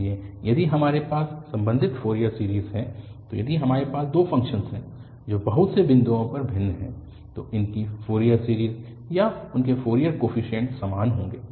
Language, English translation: Hindi, So, if we have the respective Fourier series, so if we have two functions which differ at finitely many points then their Fourier series or their Fourier coefficients will be the same